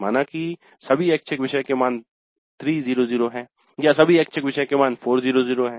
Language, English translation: Hindi, So all the electives are 300 or all the electives are 400